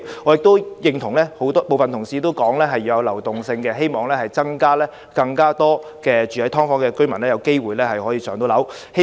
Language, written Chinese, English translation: Cantonese, 我亦認同部分同事所說，要有流動性，希望增加居住在"劏房"的居民"上樓"的機會。, I also agree to some Members assertion that it is necessary to ensure a turnover of such units so as to increase the opportunity for receiving public housing allocation among those living in subdivided units